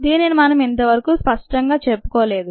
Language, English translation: Telugu, we didn't considered this explicitly so far